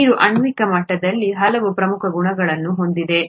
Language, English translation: Kannada, Water, at a molecular level, has very many important properties